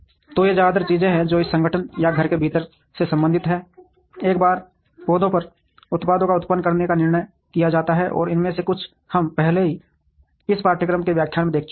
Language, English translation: Hindi, So, these are mostly things that are related to within an organization or in house once the decision to produce the products on the plants are made, and some of these we have already seen in the earlier lectures in this course